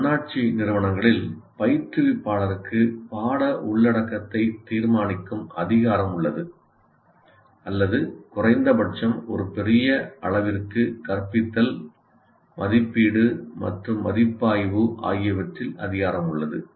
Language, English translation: Tamil, In autonomous institutions, the instructor has the power to decide the content or at least to a large extent, instruction, assessment and evaluation